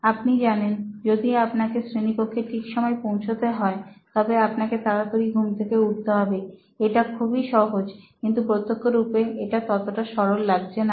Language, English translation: Bengali, You know If you want to come on time in class, they should wake up early as simple as that but apparently not